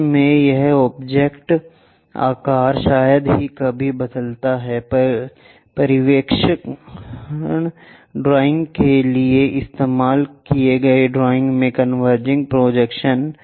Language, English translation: Hindi, In that, this object size hardly changes usually converging drawing used for perspective drawing